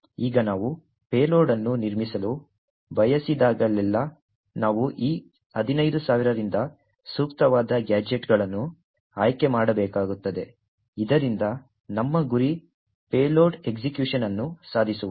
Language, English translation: Kannada, Now whenever we want to build a payload, we need to select appropriate gadgets from these 15000 so that our target payload execution is achieved